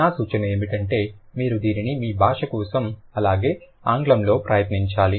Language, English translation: Telugu, My suggestion would be you should try for yourself for your language as well as in English